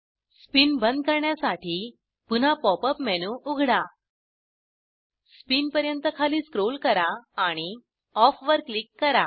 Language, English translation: Marathi, To turn off the spin, Open the Pop up menu again, Scroll down to Spin and click on Off